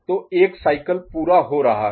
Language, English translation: Hindi, So, one cycle is getting completed